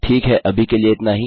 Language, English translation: Hindi, Okay thats all for now